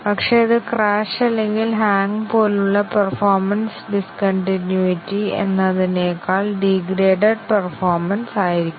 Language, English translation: Malayalam, But, that should be a gracefully degraded performance, rather than a discontinuity of the performance like crash or hang and so on